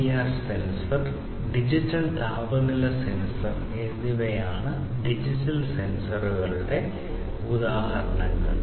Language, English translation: Malayalam, So, examples of digital sensors would be PIR sensor, digital temperature sensor and so on